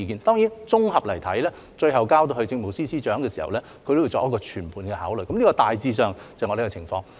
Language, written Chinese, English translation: Cantonese, 當然，綜合來看，最後交到政務司司長的時候，他會作全盤考慮，大致上是這個情況。, Of course by and large when the application is finally submitted to the Chief Secretary for Administration he will consider it in a holistic manner . This is the general picture